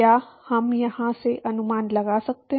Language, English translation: Hindi, Can we guess from here